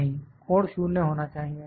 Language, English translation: Hindi, No, the angle should be 0